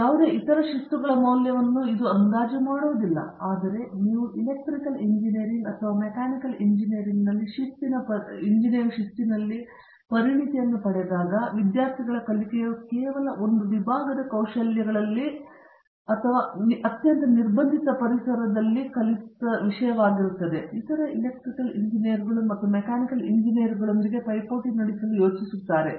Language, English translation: Kannada, This is not to underestimate the value of any other discipline, but when you get the disciplinary expertise in Electrical Engineering or a Mechanical Engineering, you demonstrate your learning in a skills of those disciplines only among the peers and in a very restricted environment, where you are suppose to be competing with the other Electrical engineers and Mechanical engineers